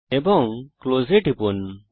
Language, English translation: Bengali, And press close